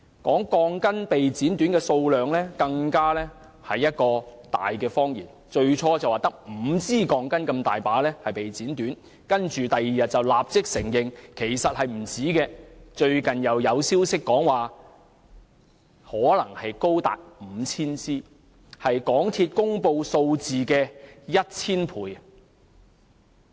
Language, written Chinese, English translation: Cantonese, 它說的被剪短鋼筋數目，更是一個大謊言，最初說只有5支鋼筋被剪短，但翌日便立即承認其實不止此數，最近又有消息指可能高達 5,000 支，是港鐵公司所公布數字的 1,000 倍。, It even told a monstrous lie about the number of shortened steel bars . Initially it said that only five steel bars were cut short but on the next day it readily conceded that the number was actually greater . Recently a source has alleged that the number of faulty steel bars may be as large as 5 000 which is 1 000 times the number announced by MTRCL